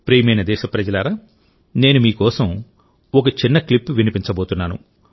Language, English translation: Telugu, Dear countrymen, I am going to play a small clip for you…